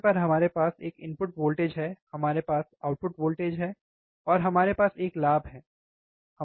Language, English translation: Hindi, Table is we have a input voltage, we have a input voltage, we have the output voltage, and we have a gain, correct